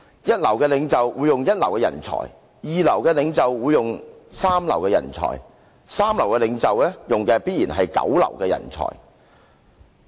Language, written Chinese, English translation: Cantonese, 一流的領袖會用一流的人才；二流的領袖會用三流的人才；三流的領袖，用的必然是九流的人才。, First - rate leaders will recruit first - class talents; second - rate leaders will select third - rate people; and third - rate leaders will surely take on ninth - rate people